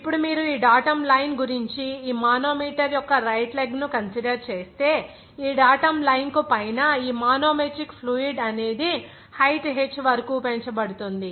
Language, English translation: Telugu, Now, if you consider the right leg of this manometer about this datum line, you will see that above this datum line, this manometric fluid is raised up to what is that h here